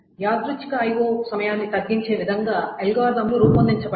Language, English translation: Telugu, So the algorithms are designed so that they reduce the random I